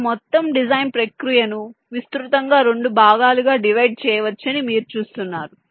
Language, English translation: Telugu, you see, this whole design process can be divided broadly into two parts